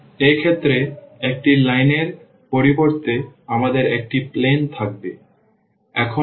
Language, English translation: Bengali, So, in this case we will have instead of a line we will have a planes